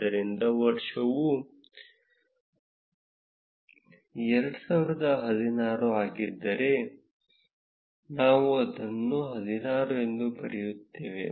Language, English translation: Kannada, So, if the year is 2016 then we will write it as 16